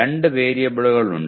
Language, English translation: Malayalam, There are two variables